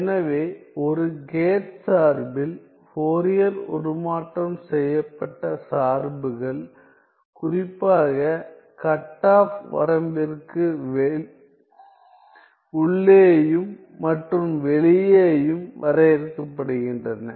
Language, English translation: Tamil, So, in a gate function, the Fourier transformed are transformed functions are specifically defined inside the cutoff range and outside the cutoff range